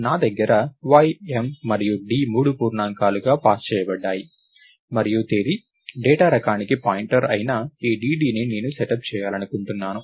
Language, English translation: Telugu, I have Y, M and D which are passed as three integers and I want to set up this DD which is a pointer to the Date data type